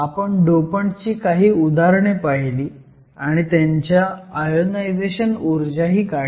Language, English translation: Marathi, You have looked at some examples of dopants, calculated the ionization energies